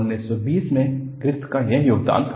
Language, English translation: Hindi, That was a contribution by Griffith in 1920